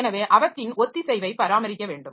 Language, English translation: Tamil, So their concurrency to be maintained